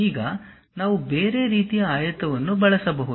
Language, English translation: Kannada, Now, we can use some other kind of rectangle